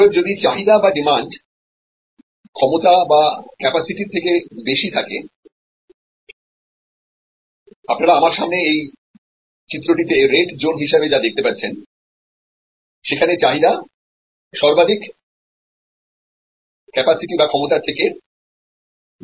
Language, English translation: Bengali, Therefore, if there is demand which is higher than the capacity that is available, the red zone that you see in this diagram in front of you, where the demand is there on top of the maximum available capacity